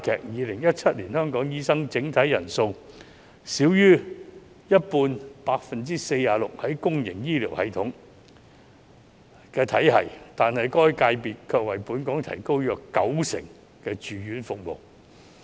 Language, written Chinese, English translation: Cantonese, 2017年香港的醫生整體人數中，少於一半任職公營醫療體系，但該界別卻為本港提供約九成的住院服務。, In 2017 only less than half 46 % of the doctors in Hong Kong worked in the public healthcare system yet the latter covered about 90 % of the inpatient services in Hong Kong